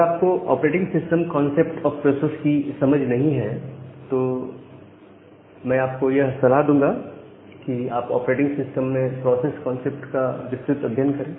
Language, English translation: Hindi, So, if you do not have a understanding of this operating system concept of processes, I will suggest you to look into this process concept in operating system and look into it in details